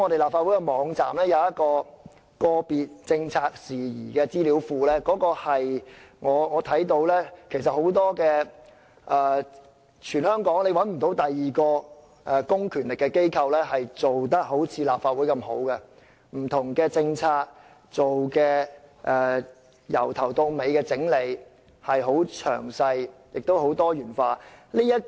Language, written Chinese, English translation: Cantonese, 立法會網站設有個別政策事宜資料庫，我認為全港也找不到另一個公權力機構做得好像立法會般那麼好，就不同政策從頭到底地整理，很詳細，也很多元化。, There is a Database on Particular Policy Issues on the website of the Legislative Council . I believe we cannot find another public authority in Hong Kong which has provided a database as impressive as that of the Legislative Council which contains a comprehensive body of detailed information on various policies with diversified topics